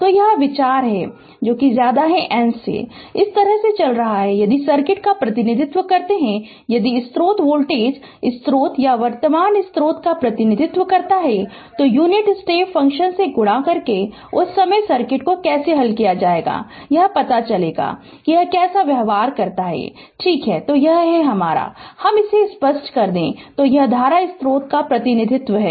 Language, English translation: Hindi, So, that is the idea rather than then moving like this, if we represent circuit, if we represent the source voltage source or current source right, by we multiplied by unit your step function, how when we will solve the circuit at that time we will know how it behaves, right